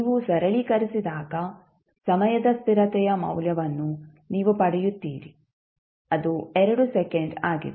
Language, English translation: Kannada, When you simplify you get the value of time constant that is 2 second